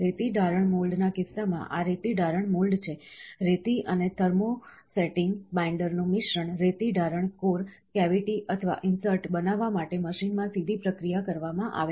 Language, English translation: Gujarati, In the case of sand casting mold, this is a sand casting mold, the mixture of the sand and thermosetting binders, are directly processed in the machine to form a sand casting core, cavity or insert